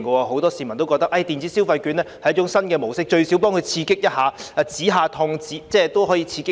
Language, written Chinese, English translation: Cantonese, 很多市民皆覺得電子消費券是一種新模式，最少可以刺激一下經濟、止一下痛，給他們一些幫助。, Many members of the public think that the electronic consumption vouchers are a new attempt which can at least stimulate the economy a bit relieve them of the pain a bit and provide them with some help